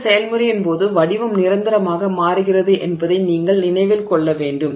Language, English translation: Tamil, So, during this process you must remember that the shape is changing permanently, right